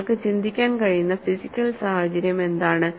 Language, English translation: Malayalam, And what is a physical situation which you can think of